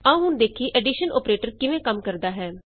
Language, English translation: Punjabi, Now lets see how the addition operator works